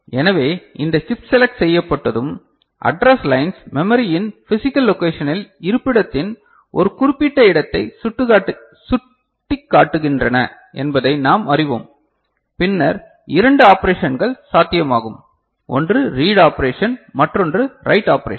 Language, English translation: Tamil, So, once this chip is selected and we know that the address lines are pointing to a particular location of the physical location of the memory right, then two operations are possible – right; one is read operation, another is write operation